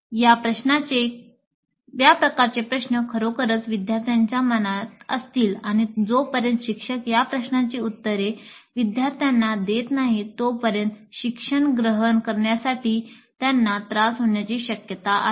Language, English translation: Marathi, These kind of questions would be really at the back of the mind of the learners and unless the instructor is able to satisfactorily answer these queries of the students, learning is likely to suffer